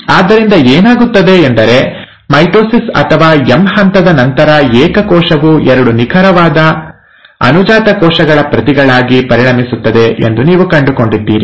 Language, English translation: Kannada, So what happens is, after the mitosis or the M phase, you find that the single cell becomes two exact copies as the daughter cells